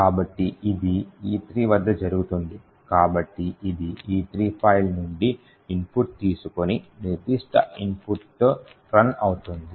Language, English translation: Telugu, So, this is done by at E3 so which would take the input from the file E3 and run with that particular input